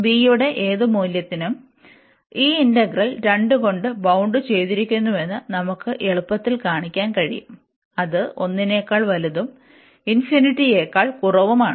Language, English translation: Malayalam, So, we can easily show that this integral here is bounded by by 2 for any value of b we take, which is greater than 1 less than infinity